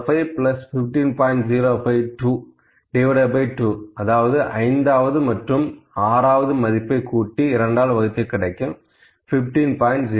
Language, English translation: Tamil, 05, that is fifth value plus sixth value by 2 is equal to 15